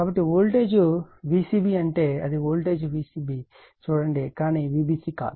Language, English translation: Telugu, So, voltage should be V c b it means it is see the voltage V c b, but not V b c right